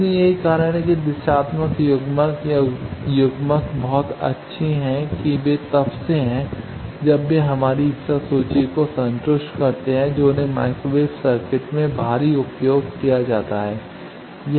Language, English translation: Hindi, So, that is why directional coupler or couplers are very good that they are since they satisfy all our wish list they are used heavily in microwave circuit